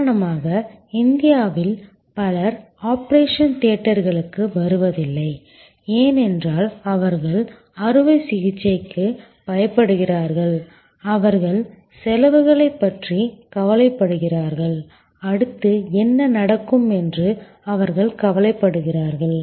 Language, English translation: Tamil, For example, that in India lot of people do not come to the operation theater, because they are scared of operations, they are worried about the expenses, they are worried about what will happen next